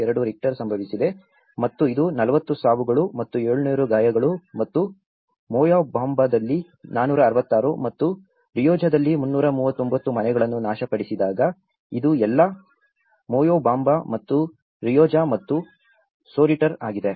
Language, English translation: Kannada, 2 Richter scale have occurred and this is when 40 deaths and 700 injuries and the destruction of 466 homes in Moyobamba and 339 in Rioja affecting so this is all, the Moyobamba and Rioja and Soritor